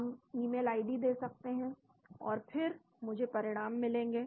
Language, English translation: Hindi, We can give the email id and then I will get the results